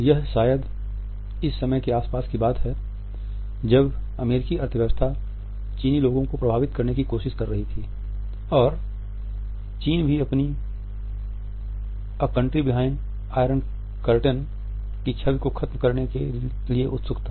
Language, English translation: Hindi, It was perhaps around this time that the US economy was trying to reach the Chinese people and China also was eager to shut this image of being a country behind in iron curtain